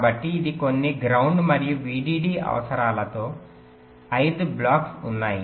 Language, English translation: Telugu, so this: there are five blocks with some ground and vdd requirements